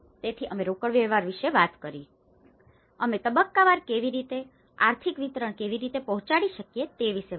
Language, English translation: Gujarati, So, we talked about the cash flows, we talked about how at a stage wise, how we can deliver the financial disbursement